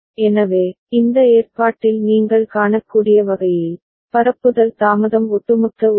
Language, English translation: Tamil, So, this way you can see in this arrangement, the propagation delay are cumulative right